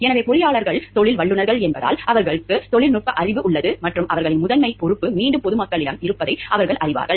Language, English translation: Tamil, So, it because, engineers are professionals because; they have the technical knowhow and they know and because their primary responsibility is again, it is towards the public